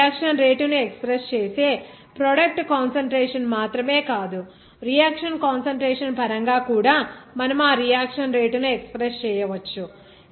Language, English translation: Telugu, Not only the product concentration you are expressing this reaction rate, you can express that reaction rate in terms of reactant concentration also